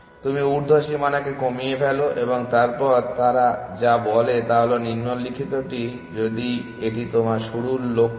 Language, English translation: Bengali, You reduce the upper bound essentially and then what they say is the following that if this is your start goal